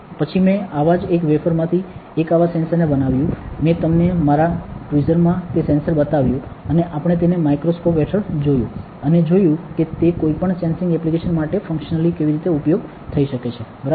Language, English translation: Gujarati, Then I took out one such wafer one such sensor, I showed you that sensor in my tweezer, and we looked at it under the microscope also, and saw how the functionally it might be useful for any sensing applications, ok